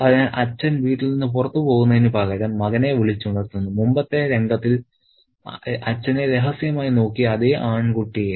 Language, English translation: Malayalam, So, instead of leaving the house, the father wakes up his son, the boy who covertly looked at his father in the previous scene